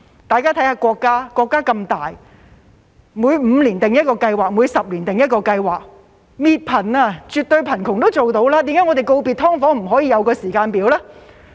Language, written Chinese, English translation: Cantonese, 大家看一看國家，國家那麼大，每5年訂一個計劃，每10年訂一個計劃，滅貧、消滅絕對貧窮也做得到，為何我們告別"劏房"不可以訂立一個時間表呢？, If we look at our country which is such a big country it sets a plan every five years and a plan every 10 years to eliminate poverty and absolute poverty so why can we not set a timetable to bid farewell to SDUs?